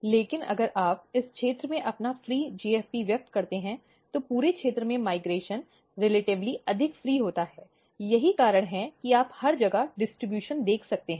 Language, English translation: Hindi, But if you move, if you express your free GFP in this region, migration in the entire region is relatively more free that is why you can see that everywhere distribution